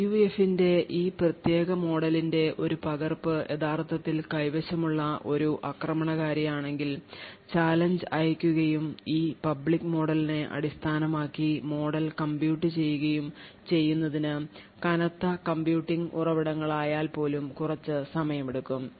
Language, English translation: Malayalam, On the other hand, if that is an attacker who actually has a copy of this particular model of the PUF, sending the challenge and computing the model based on this public model would take quite some time even with heavy computing resources